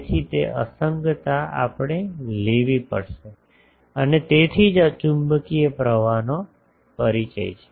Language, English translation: Gujarati, So, that discontinuity we will have to take and that is why this introduction of magnetic current